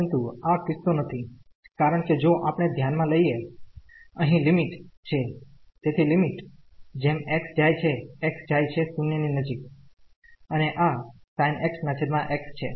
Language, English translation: Gujarati, But, this is not the case because if we consider the limit here so, the limit as x goes to x goes to 0 and this sin x over x